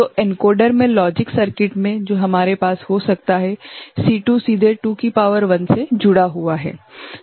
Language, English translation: Hindi, So, in the encoder within it the logic circuit that we can have is just C2 is connected directly 2 to the power 1